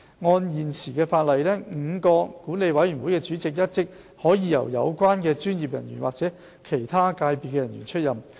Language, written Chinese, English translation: Cantonese, 按現行的法例 ，5 個管理委員會的主席一職可由有關專業人員或其他界別人員出任。, The current legislation allows the chairmanship of the five boards to be assumed by a member of the relevant professions or one from other sectors